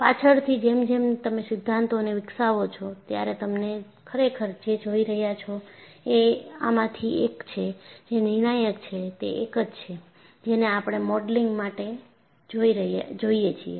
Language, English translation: Gujarati, Later on as you develop the theory, you will realize, what we are really looking at is among these, whichever is the one, which is critical, is a one, which we look at in our modeling